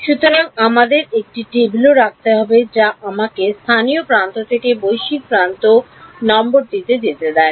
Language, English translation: Bengali, So, we also have to keep a table which allows me to go from a local edge to a global edge numbering